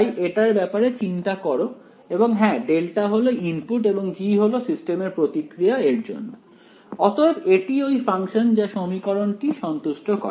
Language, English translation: Bengali, So, just think of it like that yeah direct delta is a input and g is the response of the system to it ok, it is that function which satisfies this equation right